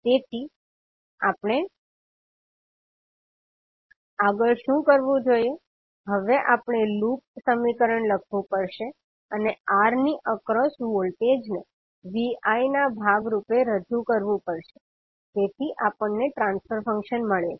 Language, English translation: Gujarati, So what we have to do next, now we have to write the loop equation and represent the voltage across R as part of Vi, so that we get the transfer function